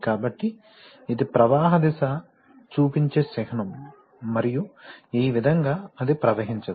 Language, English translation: Telugu, So, this is a symbol which shows that the flow direction is this and this way it cannot pass